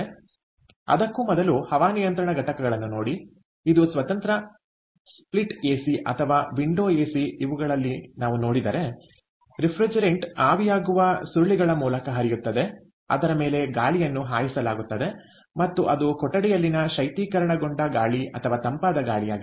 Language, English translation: Kannada, so before that, see air conditioning units that the way we see the standalone split ac or the window ac, actually haves the refrigerant flowing through the evaporator coils over which air is blown and that is the, that is, the refrigerated air or the cooled air that we get inside the room